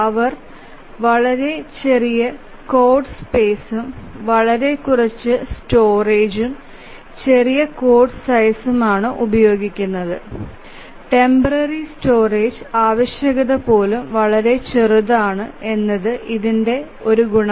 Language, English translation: Malayalam, So, the advantage of these are these take very small code space, very little storage, the code size is small and even the temporary storage requirement is very small